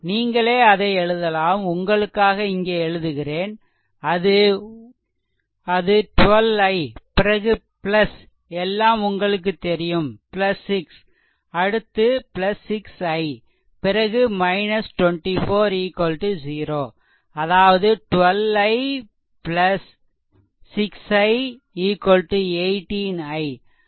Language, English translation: Tamil, So, therefore, you can make it I am writing it writing here for you, it is 12 I, then plus now you know everything plus 6, then plus 6 I, then minus 24 is equal to 0 right; that means, your 12 i plus 6 6 i 18 i is equal to 18, 18 i is equal to eighteen